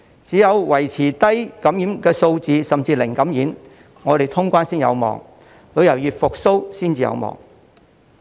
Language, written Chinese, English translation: Cantonese, 只有維持低感染數字，甚至"零感染"，我們才有望通關，旅遊業才有望復蘇。, Only when we manage to keep the infection cases at a low level or even achieve zero case can there be hope of reopening the border and boundary crossings and reviving the tourism industry